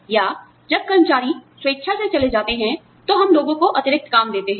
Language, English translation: Hindi, Or, when employees leave voluntarily, we give people, additional work